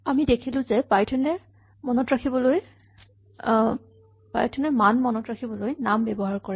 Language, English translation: Assamese, We have seen now that python uses names to remember values